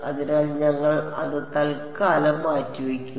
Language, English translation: Malayalam, So, we will just put that aside for now